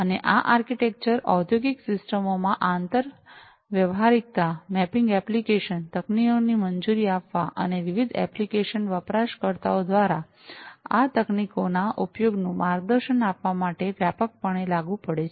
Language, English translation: Gujarati, And this architecture broadly applies in the industrial systems to allow interoperability, mapping application technologies, and in guiding the use of these technologies by different application users